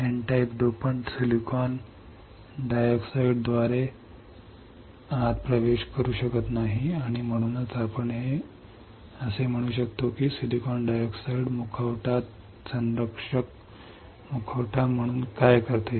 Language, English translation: Marathi, The N type dopant cannot penetrate through SiO 2 through silicon dioxide and that is why we can say that silicon dioxide acts as a mask protective mask